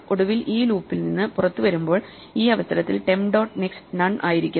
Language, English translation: Malayalam, Finally when we come out of this loop at this point we know that temp dot next is none